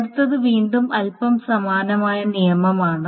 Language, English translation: Malayalam, The next rule is again a little similar rule